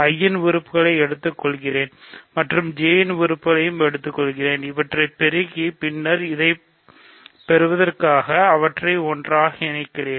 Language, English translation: Tamil, I take elements of I, I take elements of J, I multiply them and then I pool them together to get this